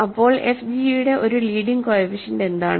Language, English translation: Malayalam, So, what is a leading coefficient of f g